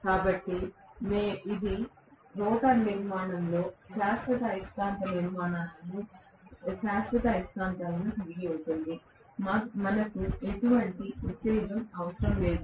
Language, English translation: Telugu, So, it is going to have permanent magnets in the rotor structure, we do not need any excitation